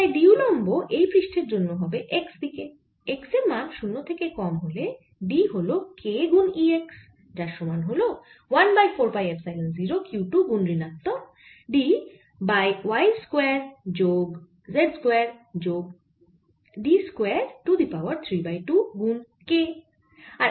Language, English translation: Bengali, and d perpendicular from x greater than or equal to zero side is going to be only e x, which is equal to one over four, pi epsilon zero in the brackets, minus q d plus q one, d one over that distance, y square plus z square plus d square, raise to three by two